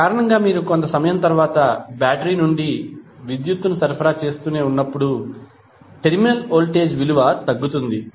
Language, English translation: Telugu, So, because of that when you keep on supplying power from the battery after some time the terminal voltage will go down